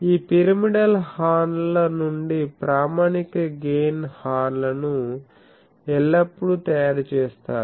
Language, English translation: Telugu, So, that is why standard gain horns are made always from these pyramidal horns